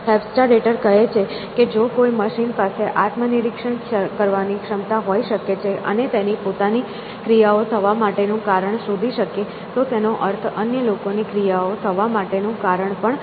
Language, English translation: Gujarati, Hofstadter is saying that if a machine can have this capacity to introspect and reason about its own actions which means also reason about other people’s actions, then it can in principle be intelligent